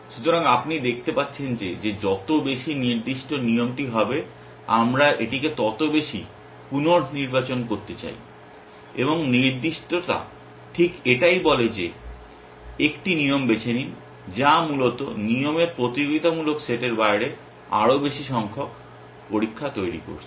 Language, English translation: Bengali, So, you can see that the more specific the rule the greater we would like it to reselected and specificity say exactly that choose a rule, which is making more number of tests out of the competing set of rules essentially